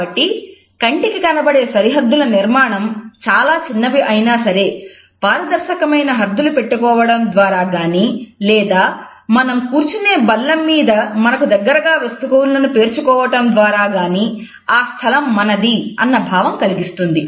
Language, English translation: Telugu, And therefore, we find that the visual boundaries are created either by transparent barriers, which may be very small and tiny, or even by putting objects close to us on a table on which we are sitting to define this space which belongs to us